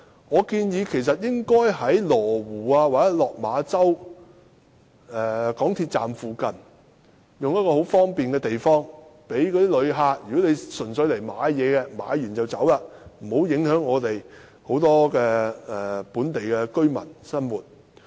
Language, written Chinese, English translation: Cantonese, 我建議邊境購物城應設在羅湖或落馬洲港鐵站附近等便利的地方，讓純粹前來購物的旅客在購物後便離開，以免影響很多本地居民的生活。, I propose that a boundary shopping city be located at convenient sites near Lo Wu Station or Lok Ma Chau Station so that visitors coming here solely for shopping can leave right after shopping and will not affect the life of local residents